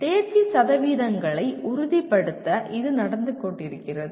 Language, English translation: Tamil, And that is how it has been going on to ensure pass percentages